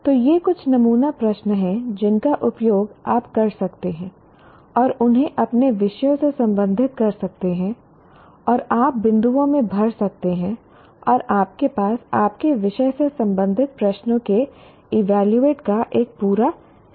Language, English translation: Hindi, So these are some sample questions that you can use and relate them to your subjects and you can fill in the dots and you will have a whole bunch of evaluate type of questions related to your subject